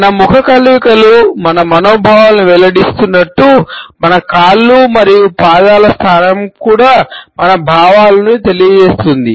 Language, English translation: Telugu, As our facial expressions reveal our feelings; our legs and position of the feet also communicates our feelings